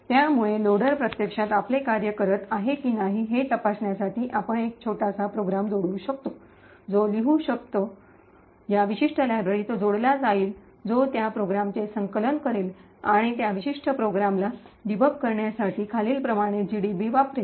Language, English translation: Marathi, So, in order to check whether the loader is actually doing its job what we can do is we can write a small program which is linked, which will link to this particular library that will compile that program and use GDB to debug that particular program as follows